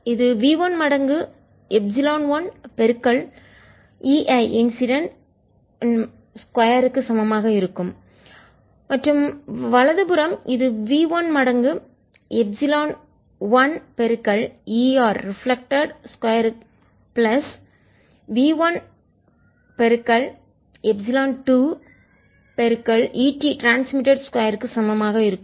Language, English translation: Tamil, this is going to be is going to be equal to v one times epsilon one e incident square and the right hand side is going to b one one time epsilon one times e reflected square plus v two epsilon two times e transmitted square